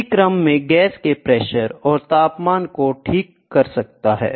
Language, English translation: Hindi, This in turn can correlate the pressure and temperature of the gas, ok